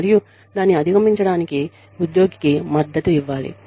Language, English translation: Telugu, And, the employee should be supported, to overcome it